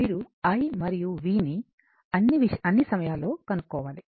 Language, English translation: Telugu, You have to determine i and v for all time right